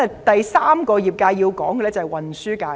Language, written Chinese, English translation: Cantonese, 第三個要提及的業界是運輸界。, The third sector that I wish to talk about is the transport sector